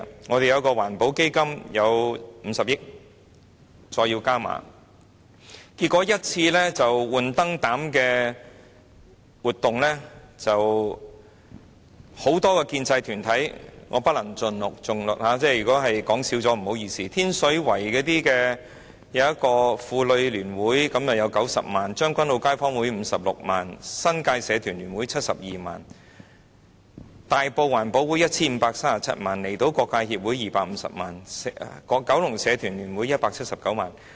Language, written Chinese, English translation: Cantonese, 我們的一個環保基金有50億元，再要加碼，結果一次換燈泡的活動就……當中包括很多建制團體——我不能盡錄，如果漏說了便不好意思——天水圍的一個婦女聯會獲撥90萬元、將軍澳街坊聯會有56萬元、新界社團聯會有72萬元、大埔環保會有 1,537 萬元、香港離島區各界協會有250萬元、九龍社團聯會有179萬元。, We have a 5 billion environmental protection fund which even required a further capital injection and finally an activity organized for changing light bulbs alone Many pro - establishment organizations were involved in it―I cannot name all of them and sorry if I should miss any one of them―A women association in Tin Shui Wai was granted 900,000 a residents association in Tseung Kwan O had 560,000 the New Territories Association of Societies had 720,000 the Tai Po Environment Association Ltd had 15.37 million the Hong Kong Islands District Association had 2.5 million and the Kowloon Federation of Associations had 1.79 million